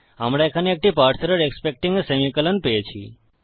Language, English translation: Bengali, We have got a parse error here expecting a semicolon